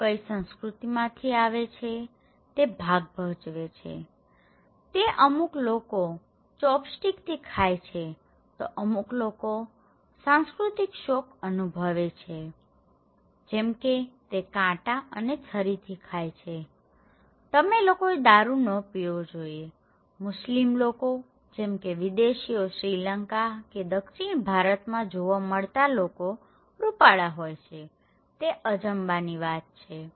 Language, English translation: Gujarati, But which culture they belong that matter, for somebody is eating with chopstick, is okay for somebody it’s cultural shock because it is eating by fork or knife or for someone, it is like no alcohol, you should not drink alcohol, for Muslims example or a foreign white skinned person is seen in a part of Sri Lanka or South India, this people are so surprised to see this one